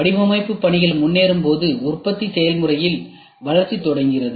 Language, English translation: Tamil, As design work progresses, development begins on the manufacturing process